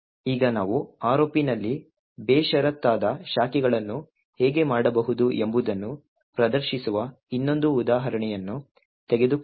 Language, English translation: Kannada, Now let us take another example where we demonstrate how unconditional branching can be done in ROP